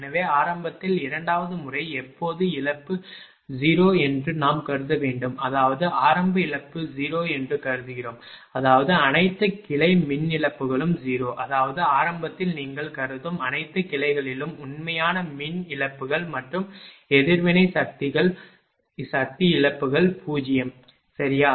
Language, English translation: Tamil, So, for when is a for second method initially, we have to assume that loss is 0, that mean we assume initial loss is 0 means, that all the all the branch power losses are 0; that means, real power losses and reactive power losses in all the branch you assume initially it is 0 right